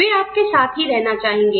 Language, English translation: Hindi, They want to stay with you